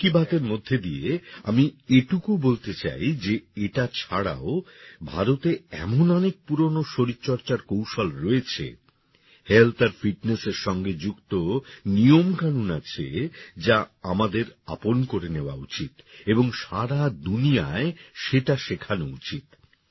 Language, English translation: Bengali, Through 'Mann Ki Baat' I would like to tell you that apart from this, there are many ancient exercises in India and methods related to health and fitness, which we should adopt and teach further in the world